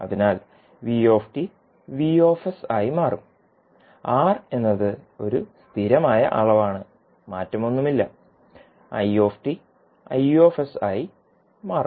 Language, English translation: Malayalam, So, vt will become vs, r is a constant quantity there is no change in the r and i t will be converted into i s